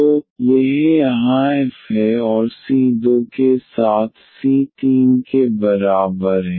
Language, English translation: Hindi, So, this is f here and with c 2 is equal to the c 3